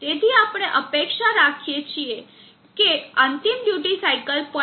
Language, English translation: Gujarati, So we expect the final duty cycle to settle down at 0